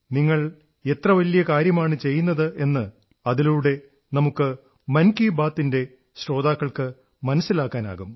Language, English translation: Malayalam, So that the listeners of 'Mann Ki Baat' can get acquainted with what a huge campaign you all are running